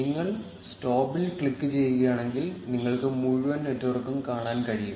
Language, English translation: Malayalam, If you click on stop, you will be able to see the entire network